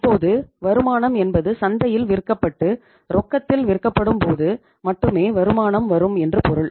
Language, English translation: Tamil, Now say say returns means returns only come when they are sold in the market and sold on cash in the market